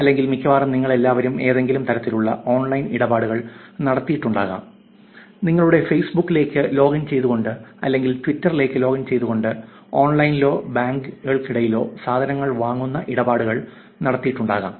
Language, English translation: Malayalam, So, some of you may have actually done online transactions in the last one week or almost all of you would have done some kind of online transactions, logging to your Facebook, logging to your Twitter, transactions of buying things online or between banks